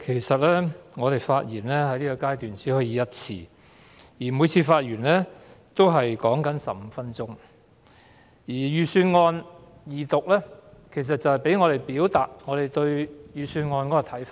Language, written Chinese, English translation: Cantonese, 主席，議員在二讀辯論階段只可發言一次，時限15分鐘，而財政預算案二讀旨在讓我們表達對預算案的看法。, President Members may only speak once in Second Reading debates subject to a time limit of 15 minutes and the Second Reading debate on the Budget provides Members with a platform to express their views on the Budget